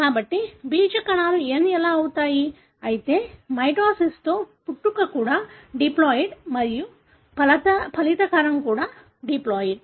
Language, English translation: Telugu, So, that is how the germ cells become n, whereas in mitosis, the progenitor is also diploid and the resulting cell also is diploid